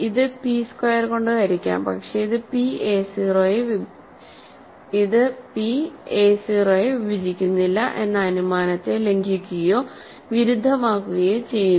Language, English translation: Malayalam, So, this is divisible by p squared, but this violates or contradicts the hypothesis that p does not divide a 0, right